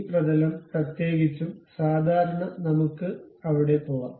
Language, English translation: Malayalam, Especially normal to this plane, let us go there